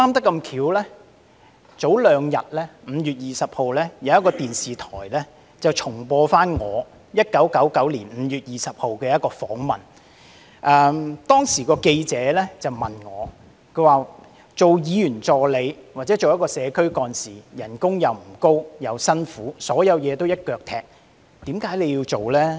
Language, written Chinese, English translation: Cantonese, 剛好在數天前，有電視台重播我在1999年5月20日接受的一個訪問，當時記者問我，擔任議員助理或社區幹事的薪酬不高並且辛苦，所有事情都要"一腳踢"，為何我仍要做呢？, It happens that a few days ago 20 May an interview I gave back on 20 May 1999 was replayed on television . At that time the reporter asked me this When the pay was not high for a Members Assistant or Community Organizer and the job was so demanding that one literally had to do everything all by himself why did I still do this job?